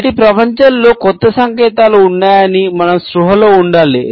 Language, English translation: Telugu, In today’s world and that there are new signals that, we have to be conscious of